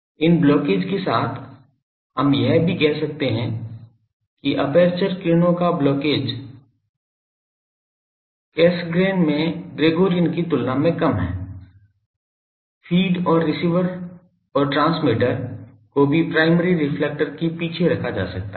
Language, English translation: Hindi, Also with these the blockage we can say the blockage of aperture rays is less in Cassegrain than in Gregorian, also the feed and receiver and transmitter can be placed behind the primary reflector